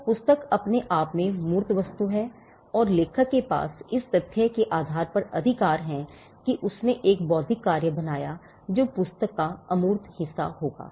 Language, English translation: Hindi, So, the book in itself is the tangible thing and the rights of the author the fact that he created an intellectual work that would be the intangible part of the book